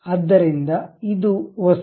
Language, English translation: Kannada, So, this is the object